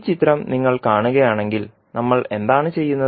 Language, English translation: Malayalam, So, if you see this particular figure, what we are doing